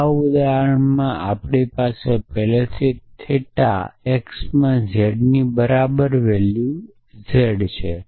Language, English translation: Gujarati, So, in this example we already have a value z in theta x equal to z